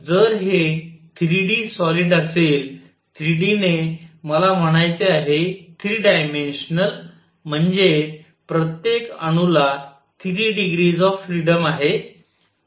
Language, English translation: Marathi, So, if this is 3 d solid by 3 d, I mean 3 dimensional, each atom has 3 degrees of freedom